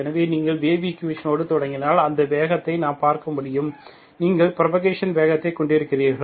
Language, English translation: Tamil, So if you start with the wave equation, we can see that speed of, you have a speed of propagation